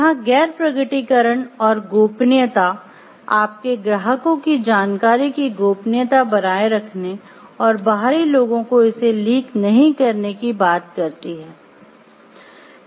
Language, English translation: Hindi, Here the non disclosure and the confidentiality talks of maintaining the confidentiality of the information of your clients and not to leak it to the outsiders